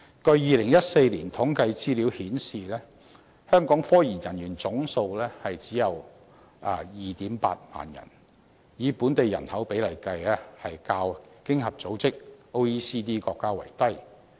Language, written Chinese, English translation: Cantonese, 據2014年統計資料顯示，香港科研人員總數只有 28,000 人，以本地人口比例計，較經濟合作與發展組織國家為低。, Statistics in 2014 showed that scientific research personnel in Hong Kong numbered 28 000 and their proportion in local population was lower than that in the Organisation for Economic Co - operation and Development countries